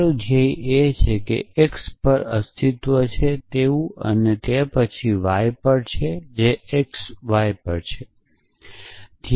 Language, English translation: Gujarati, Your goal is to show in exist on x then exist on y that on x y